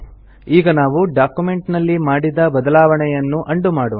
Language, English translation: Kannada, Now lets undo the change we made in the document